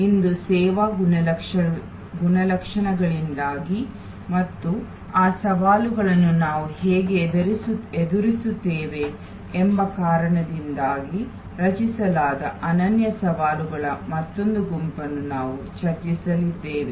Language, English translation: Kannada, Today, we are going to discuss another set of unique challenges created due to service characteristics and how we address those challenges